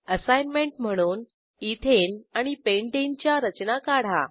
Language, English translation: Marathi, Here is an assignment Draw Ethane and Pentane structures